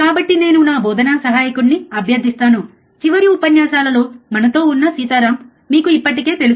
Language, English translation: Telugu, So, I will request my teaching assistant, you already know him Sitaram who was us with us in the last lectures right